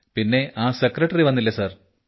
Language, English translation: Malayalam, And the secretary who had come sir…